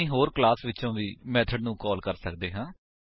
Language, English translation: Punjabi, We can also call method from other class